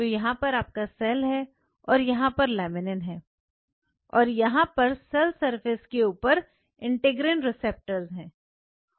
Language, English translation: Hindi, So, laminin has its respective integral receptors on the cell surface